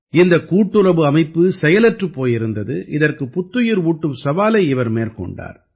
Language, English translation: Tamil, This cooperative organization was lying dormant, which he took up the challenge of reviving